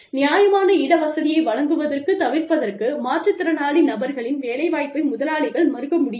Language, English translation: Tamil, Employers cannot deny, a differently abled person employment, to avoid providing the reasonable accommodation